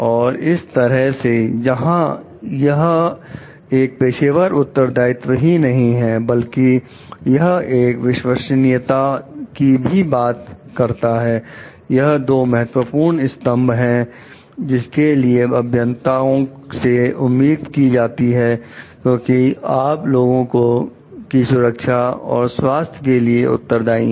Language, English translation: Hindi, So, that is where it makes not only a professional responsibility; but it talks of the trustworthiness also, which is the two important pillars which are expected of a engineer because you are responsible for the wellbeing and safety of the people at large